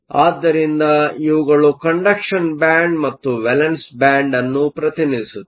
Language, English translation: Kannada, So, these represent the conduction band and the valence band